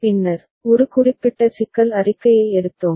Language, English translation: Tamil, Then, we picked up one specific problem statement